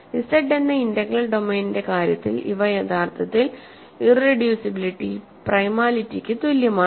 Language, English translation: Malayalam, In the case of the integral domain Z, these are actually same irreducibility is equivalent to primality